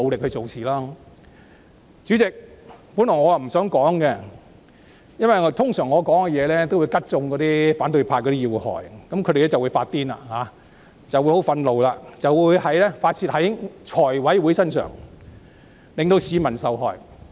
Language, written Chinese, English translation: Cantonese, 代理主席，我本來不想發言，因為我的話往往會刺中反對派的要害，他們會因此"發癲"、怒不可遏，進而在財委會上發泄，令市民受害。, Deputy President I did not intend to speak originally lest my remarks sting the sore spots of the opposition―which is often the case prompting them to go nuts and vent their spleen on the Finance Committee to the detriment of the public